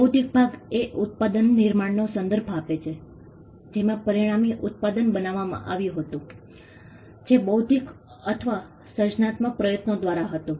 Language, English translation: Gujarati, The intellectual part refers to the creation of the product the way in which the product the resultant product was created which was through an intellectual or a creative effort